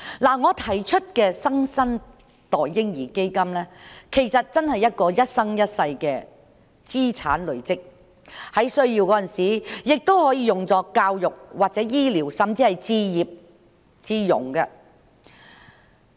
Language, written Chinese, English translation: Cantonese, 我提出的"新生代嬰兒基金"，其實是一個一生一世的資產累積計劃，在有需要時，亦可用於教育或醫療，甚至用作置業。, The New Generation Baby Fund I propose is actually a lifelong asset accumulation plan . It can also be used for education medical care or even home ownership if and when required